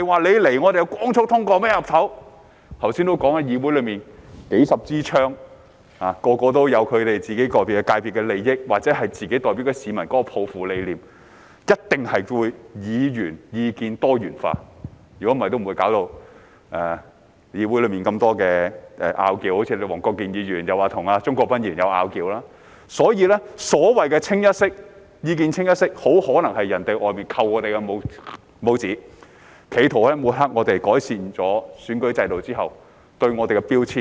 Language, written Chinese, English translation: Cantonese, 有議員剛才也提到，議會內有數十枝槍，人人也有各自界別的利益，或自己代表的市民抱負和理念，所以一定會出現議員意見多元化，否則議會內也不會有這麼多爭拗——好像有人說黃國健議員及鍾國斌議員有爭拗——所以，所謂的意見"清一色"，很可能是外間向我們"扣帽子"，企圖抹黑我們，在改善了選舉制度後對我們的標籤。, Each of them represents the interests of their individual sectors or the aspirations and ideas of the people they represent . So the views in this Council are bound to be diversified; otherwise there would not have been so many disputes in this Council just like the dispute between Mr WONG Kwok - kin and Mr CHUNG Kwok - pan according to some hearsay . So the comments that our views are unified are probably an attempt by outsiders to smear or label us after the electoral system is improved